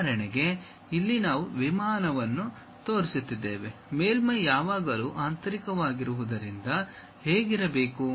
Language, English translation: Kannada, For example, here we are showing an aircraft, what should be the surface